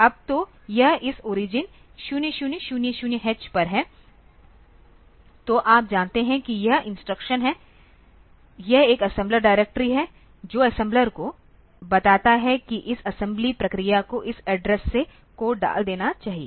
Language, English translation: Hindi, Now so, this so at this o r g 0000h, so you know that this is the instruction this is an assembler directory that tells the assembler that this assembly process should put the code from this address onwards